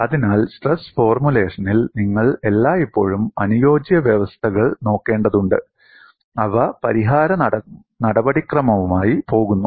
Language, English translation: Malayalam, So, in stress formulation, you will have to always look at compatibility conditions, they go with the solution procedure